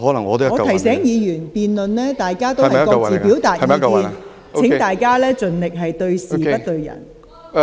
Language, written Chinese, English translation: Cantonese, 我提醒議員，各位在辯論中表達意見時，應盡量對事不對人。, I remind Members to target issues not individuals in Council debates